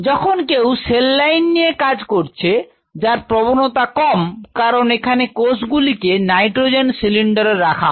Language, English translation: Bengali, Where somebody using a cell line which is less prone because the cells are safely kept in a nitrogen cylinder and